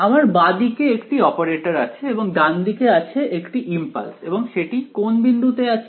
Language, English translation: Bengali, I have a left hand side which is some operator and right hand side is an impulse placed at which point